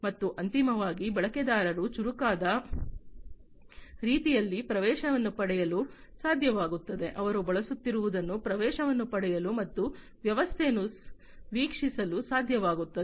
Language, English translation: Kannada, And finally, the users are able to get access in a smarter way, they are able to get access and view the system, that they are using